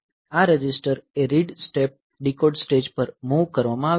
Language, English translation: Gujarati, This register read step is moved to the decode stage